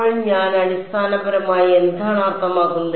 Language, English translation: Malayalam, So, what is that basically mean